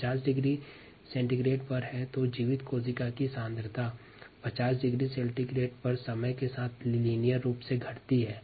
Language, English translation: Hindi, if it is at fifty degree c, then the viable cell concentration decreases linearly with time